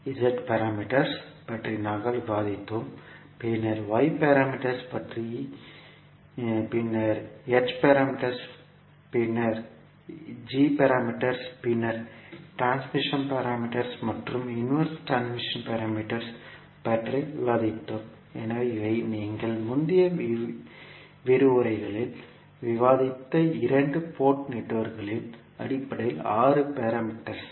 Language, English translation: Tamil, We discussed about Z parameters, then we discussed about Y parameters, then H parameters, then G parameters, then transmission parameters and the inverse transmission parameters, so these were the 6 parameters based on two port networks we discussed in our previous lectures